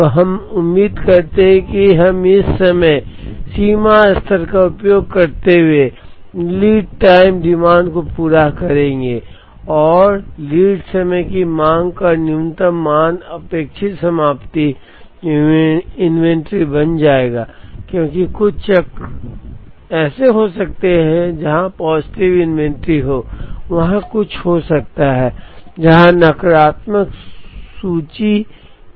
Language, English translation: Hindi, So, we expect that we will meet the lead time demand using this reorder level so, r minus expected value of lead time demand, will become the expected ending inventory, because there could be some cycles where there is positive inventory, there could be some cycles where there is negative inventory